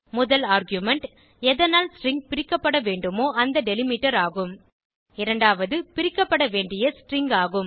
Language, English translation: Tamil, 1st argument is the delimiter by which the string needs to be split 2nd is the string which needs to be split